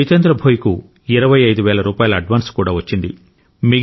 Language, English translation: Telugu, Jitendra Bhoi even received an advance of Rupees twenty five thousand